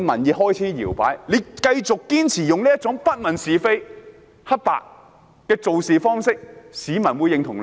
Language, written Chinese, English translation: Cantonese, 如果他們繼續堅持不問是非黑白，還會得到市民的認同嗎？, Will they still get public recognition if they continue to confuse right and wrong?